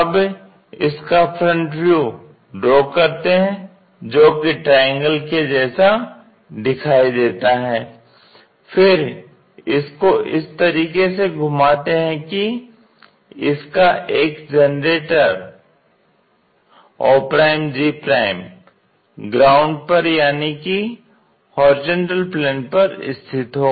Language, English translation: Hindi, Have a front view which looks like a triangle, then rotate it in such a way that one of the generator may be og' resting on the ground